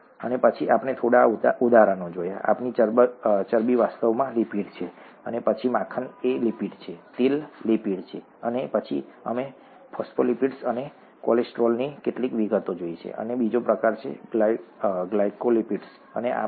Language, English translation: Gujarati, And then we saw a few examples, our fats are actually lipids, and then butter is a lipid, oil is a lipid, and then we looked at some of the details of phospholipids, and cholesterol and there is another type, glycolipids and all these three are commonly found in natural cell membranes